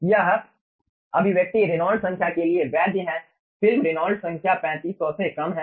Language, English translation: Hindi, this expression valid is valid for reynolds number, film reynolds number, ah less than 3500